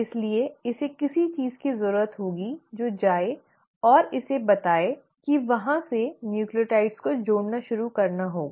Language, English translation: Hindi, So it needs something to go and tell it that from there you need to start adding the nucleotides